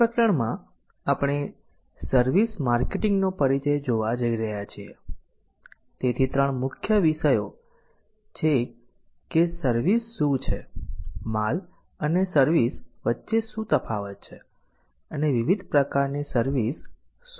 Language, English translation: Gujarati, in this chapter we are going to see an introduction of services marketing so there are three main topics what is a services what are the differences between goods and services and what are the different types of services so